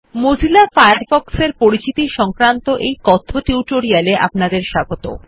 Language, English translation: Bengali, Welcome to the Spoken tutorial on Introduction to Mozilla Firefox